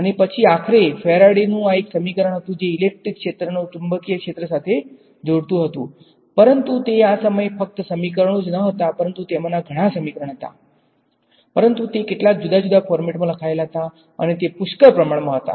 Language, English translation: Gujarati, And, then Faraday finally, had this an equation which related the electric field to the magnetic field, but still it was not these were at that time these equations were not just 4 equation, but they were written in some different format there were plenty of them